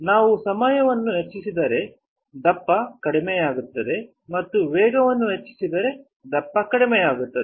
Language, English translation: Kannada, If we increase the time the thickness will decrease and if we increase the speed the thickness will decrease